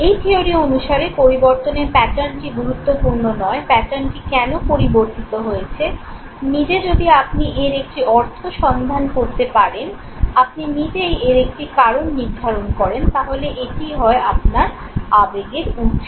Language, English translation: Bengali, The pattern of change that has taken place according to this theory is not important, why has the pattern changed, use yourself search a meaning for this, you yourself assign a reason for this, and once you have assigned the reason for this, this becomes the source of your emotion okay